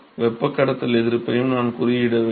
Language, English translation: Tamil, I should also mention conduction resistance